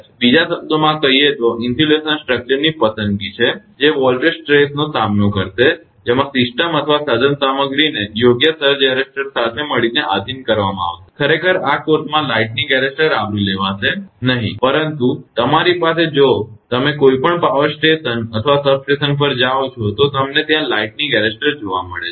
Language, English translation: Gujarati, So, in other words it is the selection of an insulation structure that will withstand the voltage stresses, to which the system or equipment will be subjected together with the proper surge arrester, actually in this course lightning arrester will not cover, but you have the if you go to any power station or substation you will find lightning arrester is there